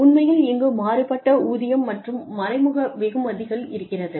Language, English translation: Tamil, Actually, you have the variable pay, and indirect rewards